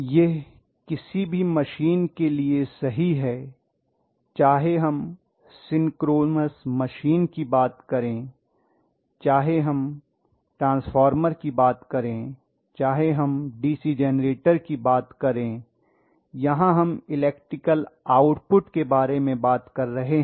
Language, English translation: Hindi, This is true for any machine whether we talk about synchronies machine eventually, whether we talk about transformer, whether we talk about DC generator where we are talking about electrical output